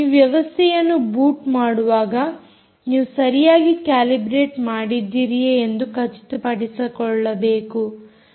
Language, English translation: Kannada, at the time when you boot the system you have to ensure that you have calibrated correctly ah